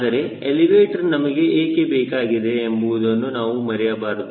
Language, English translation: Kannada, but let us not forget: why do you need elevator